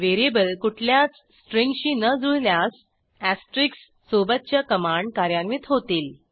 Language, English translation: Marathi, If neither match VARIABLE, the commands associated with the asterisk are executed